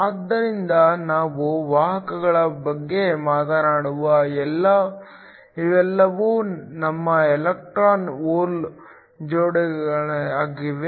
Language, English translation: Kannada, So, when we talk about carriers these are all your electron hole pairs